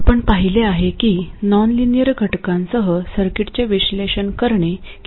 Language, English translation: Marathi, We have seen how cumbersome it is to analyze circuits with nonlinear elements